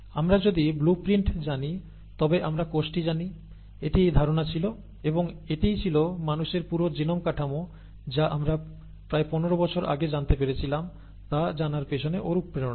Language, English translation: Bengali, If we know the blueprint we know the cell, okay, that was thinking and that was the motivation behind knowing the entire genome structure of humans which we came to know about 15 years ago